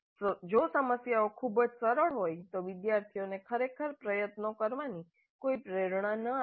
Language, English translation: Gujarati, The problem is too easy then the students would really not have any motivation to put in effort